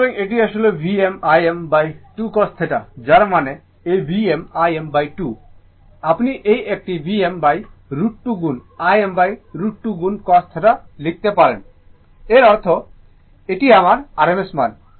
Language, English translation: Bengali, So, this is actually it is coming V m I m by 2 cos theta that means, this V m I m by 2 means, you can write this one V m by root 2 into I m by root 2 into cos theta right that means, this is my rms value